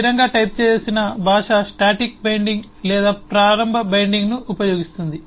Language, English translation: Telugu, a statically typed language use static binding or early binding